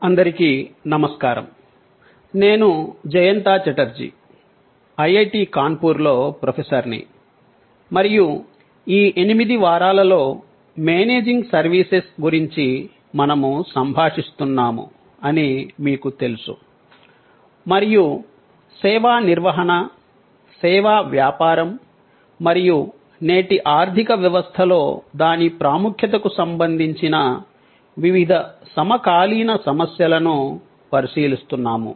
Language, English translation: Telugu, Hello, I am Jayanta Chatterjee, Professor at IIT, Kanpur and as you know, we are interacting over these 8 weeks on Managing Services and we are looking at various contemporary issues relating to service management, service business and its importance in today's economy